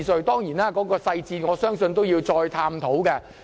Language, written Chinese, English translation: Cantonese, 當然，我相信當中細節有待探討。, Of course I believe that the relevant details have to be further explored